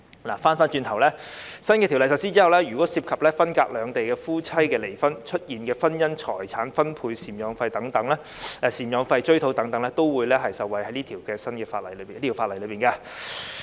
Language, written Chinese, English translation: Cantonese, 話說回來，在新法例實施後，涉及分隔兩地的夫妻因離婚而衍生的婚姻財產分割糾紛或贍養費追討等個案，都會受惠於這項法例。, After the new legislation takes effect cases concerning division of property and recovery of maintenance etc . resulting from the divorce of couples who live separately in the two places can also benefit from this legislation